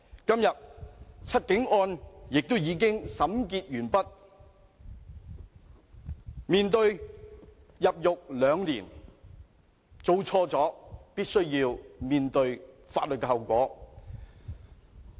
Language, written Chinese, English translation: Cantonese, 今天"七警案"已審結，他們面對入獄兩年，做錯事便必須面對法律後果。, Today the case of seven police officers has closed and they face an imprisonment term of two years . Anyone who has done wrong must face legal consequences